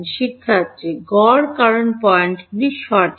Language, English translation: Bengali, Average because the points right